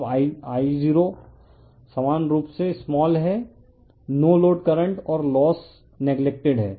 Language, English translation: Hindi, Now, I0 is equally small no load current and loss is neglected right